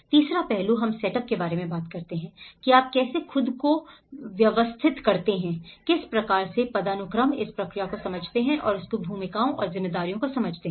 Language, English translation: Hindi, Third aspect we talk about the set up the roles, how you organize yourself, understand what is a hierarchical process, what is the understand each of these roles and responsibilities